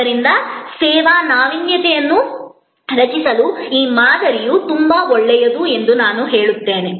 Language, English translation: Kannada, So, that is why I said that this model is very good to create service innovation